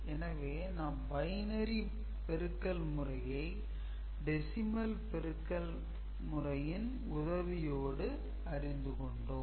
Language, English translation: Tamil, We have understood how binary multiplication is done in reference to decimal multiplication that we are already familiar with